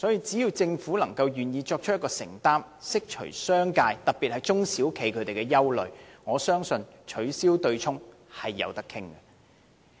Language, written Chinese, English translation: Cantonese, 只要政府願意作出承擔，釋除商界，特別是中小企的憂慮，我相信取消對沖機制是可以討論的。, The Government only needs to make a commitment to dispel the misgivings of the business sector especially SMEs; then in my view the abolition of the offsetting mechanism is open for discussion